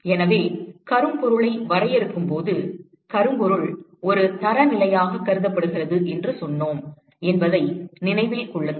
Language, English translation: Tamil, So, remember when we define blackbody we said that blackbody is considered to be a standard